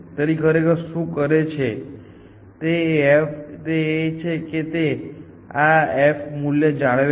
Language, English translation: Gujarati, So, what really it does is that it maintains this f prime value